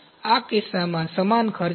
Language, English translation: Gujarati, So, in this case, the same costs are there